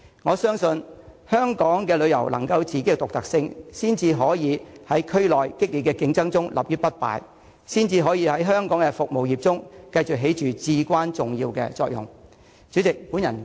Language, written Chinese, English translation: Cantonese, 我相信，香港的旅遊能夠有自己的獨特性，才可以在區內的激烈競爭中立於不敗，才可以在香港的服務業中繼續發揮至關重要的作用。, I believe it is only when tourism in Hong Kong is unique that it can rise above the fierce competition in the region and only in this way can it continue to play a vitally important role in the service sector in Hong Kong